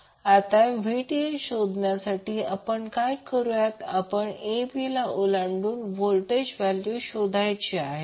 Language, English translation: Marathi, Now to find the Vth, what we will do will find the value of voltage across the terminal a b